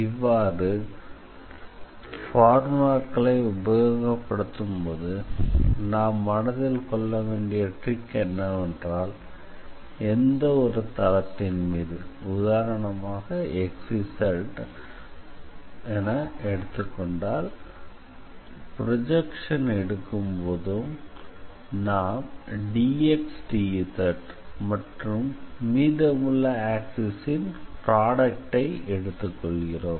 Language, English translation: Tamil, So, the trick to remember these formulas is that whenever you are taking projection on a certain plane so, that will be in the product d x d z and then the remaining axis